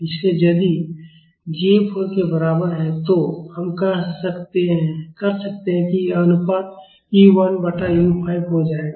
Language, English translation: Hindi, So, if j is equal to 4, we can this ratio will become u 1 by u 5